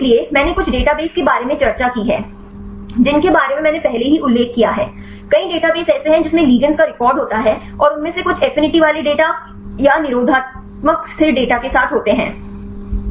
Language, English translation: Hindi, So, I havve discussed about some of the databases right I say mentioned earlier, there are several databases which contain the record of the ligands and some of them with affinity data or the inhibitory constant data